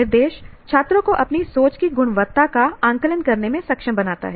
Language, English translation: Hindi, Instruction enables students to self assess the quality of their thinking